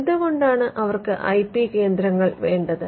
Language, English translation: Malayalam, Why do they need IP centres